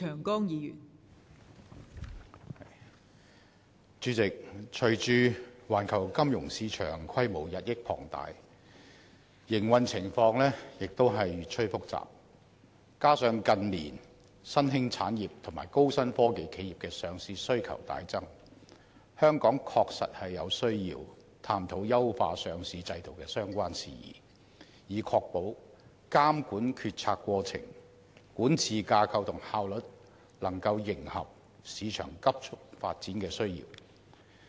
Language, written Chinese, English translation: Cantonese, 代理主席，隨着環球金融市場規模日益龐大，營運情況亦越趨複雜，加上近年新興產業及高新科技企業的上市需求大增，香港確實有需要探討優化上市制度的相關事宜，以確保監管決策過程、管治架構及效率能夠迎合市場急速發展的需要。, Deputy President in the face of the increasing expansion of the global financial market the market operating conditions have become increasingly complicated . In addition as emerging industries and innovative high - tech enterprises have a much greater demand for listing in recent years there is a genuine need for Hong Kong to explore matters relating to the enhancement of our listing regulatory regime so as to ensure that the decision - making and governance structure for listing regulation as well as the regulatory efficiency of the regime can respond to rapid developments in the market